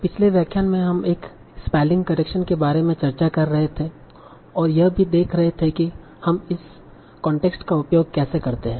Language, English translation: Hindi, So in the last lecture of second week, so we were discussing about spelling correction and also seeing how do we do that using the context